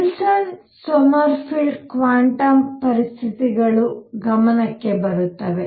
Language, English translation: Kannada, And that is where Wilson Sommerfeld quantum conditions come into the picture